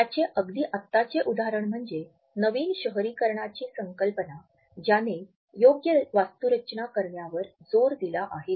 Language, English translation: Marathi, The latest example of it is the concept of new urbanism which has started to emphasis the context appropriate architecture